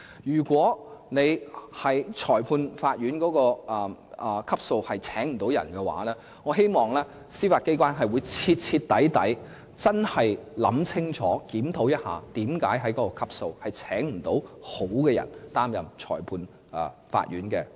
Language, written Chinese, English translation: Cantonese, 如果裁判法院級別未能聘請所需人手，我希望司法機構能夠徹底檢討，為何該級別未能聘請好的人才出任裁判官。, If recruitment at the Magistrates Court level is still unsuccessful I hope that the Judiciary will conduct a thorough review to examine why it is not possible to recruit good magistrates